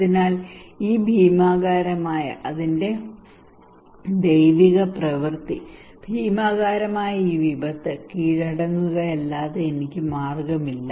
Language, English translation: Malayalam, So I have no way but to surrender this gigantic its a gods act, gigantic catastrophic disaster